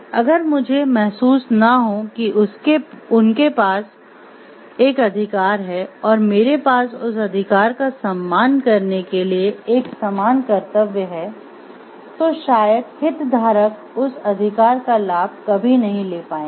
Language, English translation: Hindi, If I do not realize like they have a right and I do have a corresponding duty to respect that right, then maybe the stakeholder will not be able to enjoy the fruits of that right